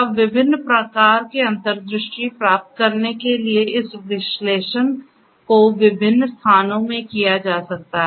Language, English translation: Hindi, Now, this analytics can be performed in different places for getting different types of insights